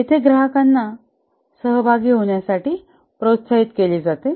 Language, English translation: Marathi, Here the customer is encouraged to participate